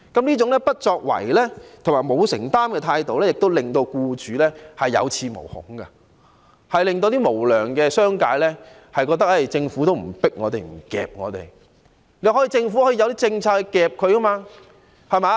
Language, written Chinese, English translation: Cantonese, 這種不作為和沒有承擔的態度，令僱主有恃無恐，令無良商界認為，政府不會催迫或強制他們。, Employers have no fear precisely because of the Governments inaction and non - commitment as the unscrupulous business sector feel that they will never be prompted or compelled by the Government to take action